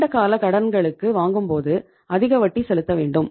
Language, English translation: Tamil, When you borrow for the long period it means you have to pay the higher rate of interest